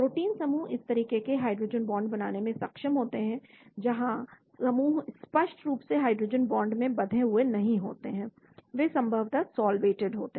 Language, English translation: Hindi, The protein groups are capable of forming hydrogen bonds like this, where groups are not explicitly hydrogen bonded, they are probably solvated